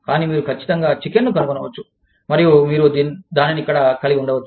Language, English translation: Telugu, But you could definitely find chicken, and you could have that, here